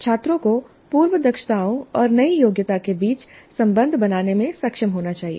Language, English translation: Hindi, Students must be able to form links between prior competencies and the new competency